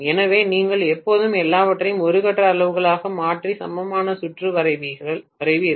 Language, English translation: Tamil, So you will always convert everything into per phase quantity and draw the equivalent circuit